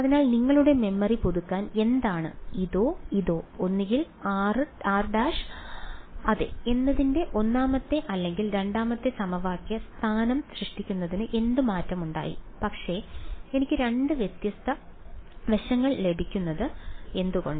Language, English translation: Malayalam, So, what just to refresh your memory what changed to produce either this or this the first or the second equation position of r dash yeah, but why do I get two different right hand sides